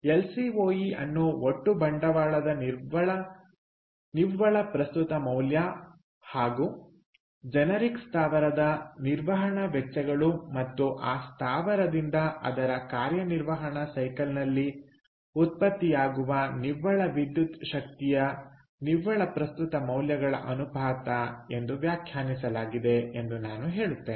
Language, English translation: Kannada, so i would say that lcoe is defined as the ratio of net present value of total capital and operating costs of a generic plant to the net present value of the net electricity generated ok by that plant during its operating life